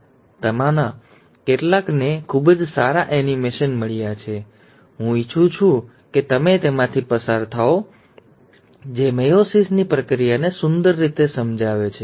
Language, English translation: Gujarati, Some of them have got very good animations; I would like you to go through them which beautifully explains the process of meiosis